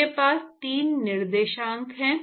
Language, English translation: Hindi, I have 3 coordinates